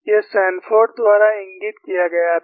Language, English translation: Hindi, This was pointed out by Sanford